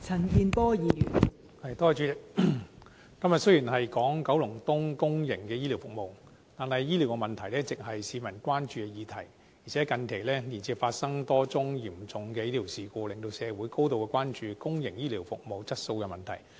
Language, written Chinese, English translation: Cantonese, 代理主席，雖然今天辯論九龍東公營醫療服務，但醫療問題一直為市民關注，而且近期接連發生多宗嚴重醫療事故，令社會高度關注公營醫療服務質素的問題。, Deputy President although the subject of our debate today is healthcare services in Kowloon East healthcare problems have all along been a concern to the public . Moreover the occurrence of a spate of serious medical incidents recently has caused grave concern in the community about the quality of public healthcare services